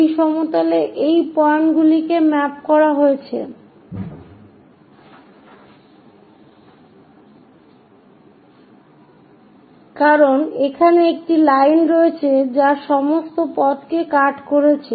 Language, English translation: Bengali, This entire plane these points everything mapped under this one, because there is a line which is going as a cut all the way down for this